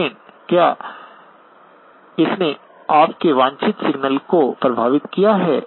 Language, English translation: Hindi, But has it affected your desired signal